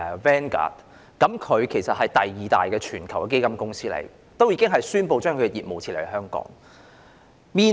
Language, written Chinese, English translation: Cantonese, 其後，全球第二大基金公司領航投資宣布將其業務撤離香港。, Subsequently Vanguard the worlds second - largest fund manager announced that it would move its operations out of Hong Kong